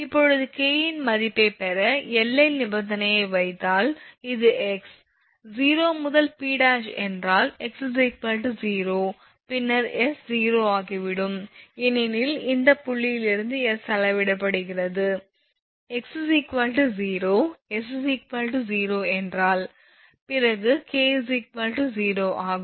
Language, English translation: Tamil, So, here when x is equal if you look at this figure, when this is x actually O to P dash x if x is equal to 0, then naturally s also will become 0 because s is measured from this point see if x is equal to 0 then s is equal to 0 if it is